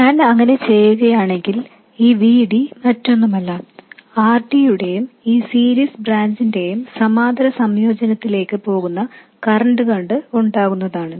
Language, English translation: Malayalam, This VD is nothing but this current flowing into the parallel combination of RD and this series branch